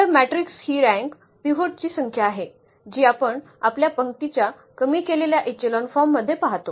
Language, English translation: Marathi, So, rank of the matrix is the number of the pivots which we see in our reduced a row echelon forms